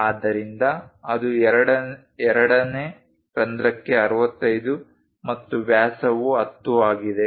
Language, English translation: Kannada, So, that is 65 for the second hole and the diameter is 10 for that